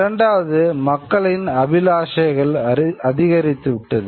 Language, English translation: Tamil, Number two is aspirations of people start growing